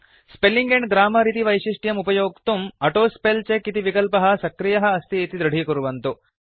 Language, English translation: Sanskrit, To use the Spelling and Grammar feature, make sure that the AutoSpellCheck option is enabled